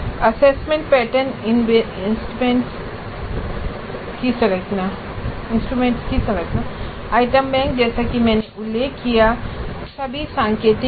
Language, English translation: Hindi, And the structure of assessment patterns and instruments, item banks, they are all indicative as I mentioned